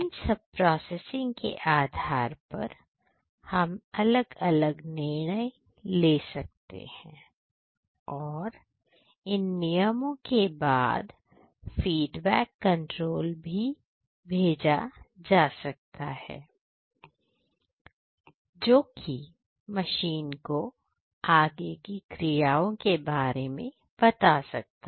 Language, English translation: Hindi, And based on the processing the different decisions has to be made and based on the decisions there is a feedback control that has to be sent back to the machine or elsewhere for further actions